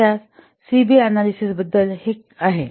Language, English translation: Marathi, So, this is something about this CB analysis